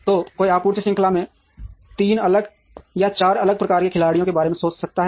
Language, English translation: Hindi, So one could think of 3 different or 4 different types of players in the supply chain